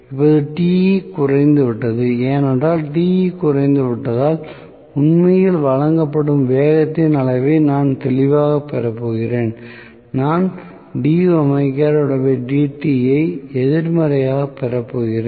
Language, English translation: Tamil, Now, Te has decreased, because Te has decreased, I am going to have clearly the amount of speed that is actually offered, I am going to have d omega by dt being negative